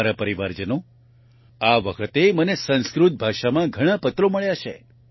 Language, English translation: Gujarati, My family members, this time I have received many letters in Sanskrit language